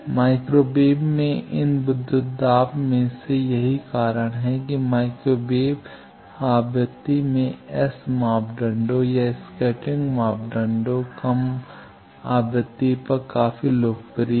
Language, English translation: Hindi, Of these voltages at microwave frequency that is why in microwave frequency S parameter or scattering parameter is quite popular at lower frequency